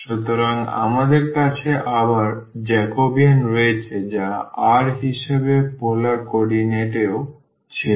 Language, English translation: Bengali, So, we have again the Jacobian which was also in polar coordinate as r